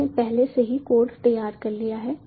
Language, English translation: Hindi, i have already made the code ready